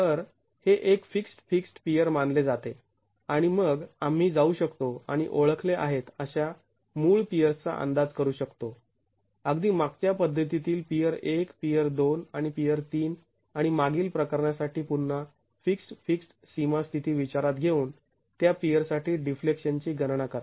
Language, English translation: Marathi, So, this is considered to be a fixed, fixed peer and then we can go and estimate for the original peers that we are identified even in the last method, peer one, peer two and peer three, and calculate the deflections for that peer, considering again fixed, fixed boundary condition for the last case